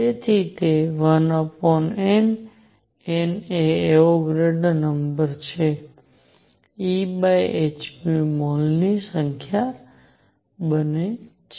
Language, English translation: Gujarati, So, that one over N; N is Avogadro number E over h nu becomes number of moles